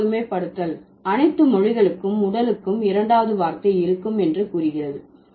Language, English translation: Tamil, The first generalization is that all languages have a word for body, right